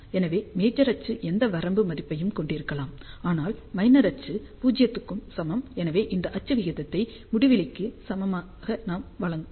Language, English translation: Tamil, So, major axis can have any finite value, but minor axis is equal to 0, so that will give us axial ratio equal to infinity